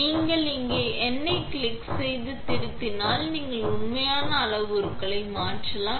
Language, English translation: Tamil, And if you click the number out here and edit, then you can change the actual parameters